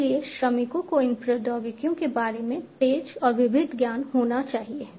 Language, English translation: Hindi, So, workers should have fast and diverse knowledge about these technologies